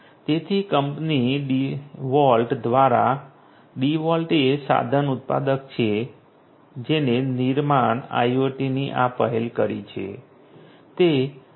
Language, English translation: Gujarati, So, by the company DeWalt; DeWalt is the tool manufacturer which launched this initiative of construction IoT